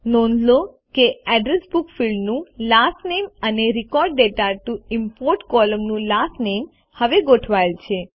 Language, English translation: Gujarati, Notice, that the Last Name on the Address Book fields column and the Last Name on the Record data to import column are now aligned